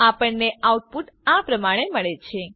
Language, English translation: Gujarati, We get the output as follows